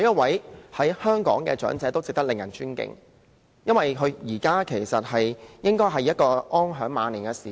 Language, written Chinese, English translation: Cantonese, 在香港，每一位長者都值得尊敬，現在應該是他們安享晚年的時間。, In Hong Kong we owe our respect to every elderly person and it is the time for them to enjoy their twilight years